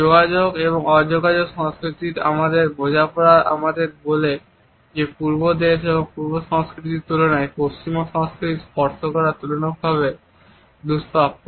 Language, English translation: Bengali, Our understanding of contact and non contact cultures tells us that in comparison to Eastern countries and Eastern cultures touching is relatively scarce in the Western cultures